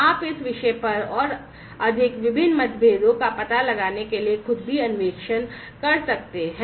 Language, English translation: Hindi, You could also dig on your own to find out more different other differences on this topic